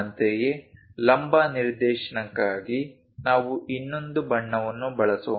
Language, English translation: Kannada, Similarly, for the vertical direction let us use other color